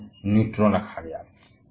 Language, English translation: Hindi, And it was named neutron